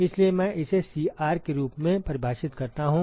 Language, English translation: Hindi, So, I define that as Cr